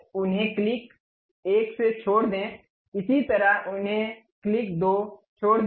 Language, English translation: Hindi, Now, leave them by click 1, similarly leave them by click 2